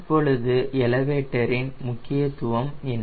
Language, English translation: Tamil, now, what is the significance of a elevator